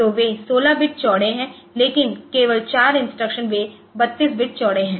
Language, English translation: Hindi, So, they are 16 bit wide, but only 4 instructions they are 32 bit wide